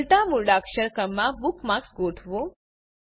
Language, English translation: Gujarati, * Organize the bookmarks in reverse alphabetical order